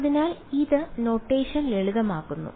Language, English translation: Malayalam, So, this just simplifies the notation right